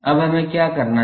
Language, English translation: Hindi, Now, what we have to do